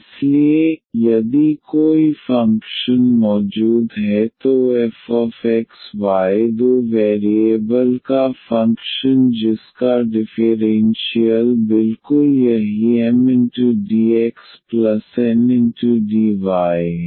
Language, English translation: Hindi, So, if there exists a function this f x y the function of two variable whose differential is exactly this Mdx plus Ndy